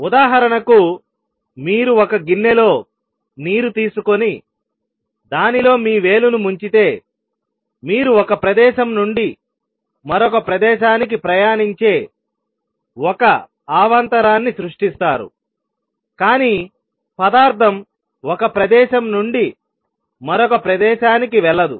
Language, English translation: Telugu, For example, if you take a dish of water and dip your finger in it, you create a disturbance that travels from one place to another, but material does not go from one place to the other